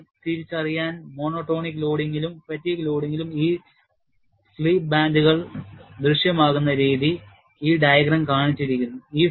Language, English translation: Malayalam, And just to distinguish, what way the slip bands appear in monotonic loading and fatigue loading, this diagram is shown